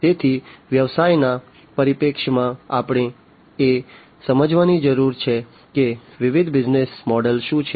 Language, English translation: Gujarati, So, from the business perspective, we need to understand what are the different business models